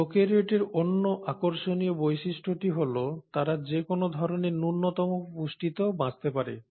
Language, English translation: Bengali, And the other most intriguing feature of prokaryotes are they can survive in any form of minimal nutrients